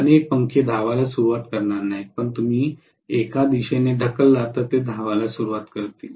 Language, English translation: Marathi, Many fans will not start running, but if you give it a push in one direction, it will start running